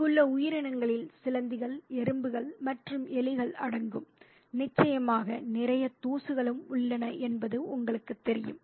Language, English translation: Tamil, And the creatures that are there include spiders and rats and, and you know, there's also of course a lot of dust